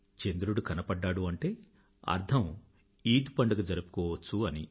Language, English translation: Telugu, Witnessing the moon means that the festival of Eid can be celebrated